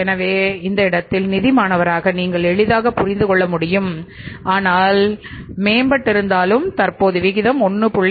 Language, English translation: Tamil, So, in this picture now as a student of finance you can easily understand though the ratio has improved though the current ratio has improved from the 1